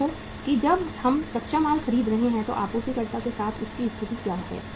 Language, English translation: Hindi, Look that when we are buying the raw material what is its state with the supplier